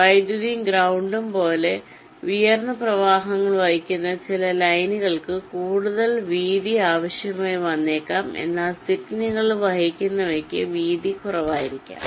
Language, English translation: Malayalam, ok, some of the lines which carry higher currents, like power and ground, they may need to be of greater width, but the ones which are carrying signals, they may be of less width